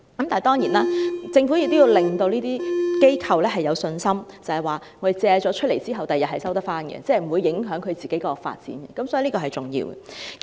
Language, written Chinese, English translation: Cantonese, 當然，政府也要讓發展商有信心，知道借出單位後，日後可以成功收回，不會影響它們的發展計劃，這也很重要。, Undoubtedly the Government should also reassure the developers that after lending the units they can successfully recover them in the future without affecting their development plans . It is also very important